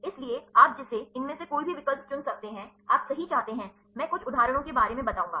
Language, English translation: Hindi, So, you can choose any of these options do you want right, I will explain some of the some of the some examples